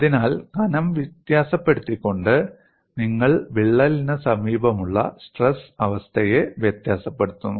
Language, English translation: Malayalam, So, by varying the thickness, you are varying the stress state in the vicinity of the crack